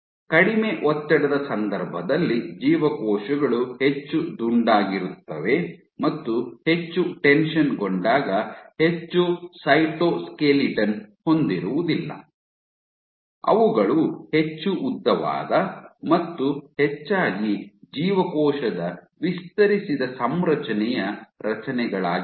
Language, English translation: Kannada, So, in case of low tension the cells are more rounded do not have much cytoskeleton verses in when they are highly tensed you have structures which are more elongated most you know a stretched out configuration of the cell